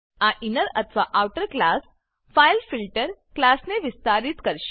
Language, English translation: Gujarati, This inner or outer class will extend the fileFilter class